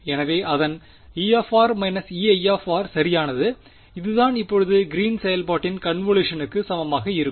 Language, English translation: Tamil, So, its E r minus E i right that is what is going to be equal to the convolution now of Green's function